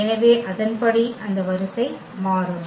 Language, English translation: Tamil, So, accordingly that order will change